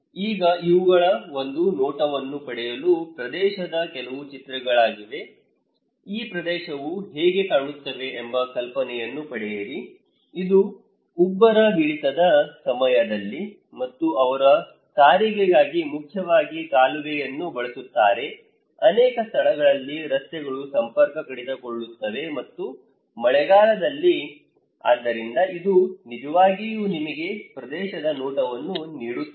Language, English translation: Kannada, Now, these are some of the pictures of the area to get a glimpse; get an idea that how this area looks like, this is during high tide, and they have use canal for transportations mainly, many places the roads are disconnected and during the rainy season, so this is really to give you a glance of the area